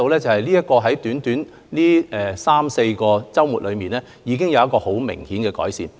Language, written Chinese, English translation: Cantonese, 在過去短短的三四個周末之間，我們已看到情況明顯改善。, We have seen obvious improvement over a short span of the past three or four weeks